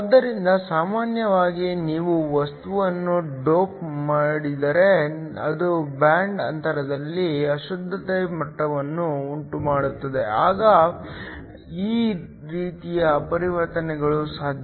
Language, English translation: Kannada, So, Typically, if you dope a material, so that it generates impurity levels in the band gap then these kinds of transitions are possible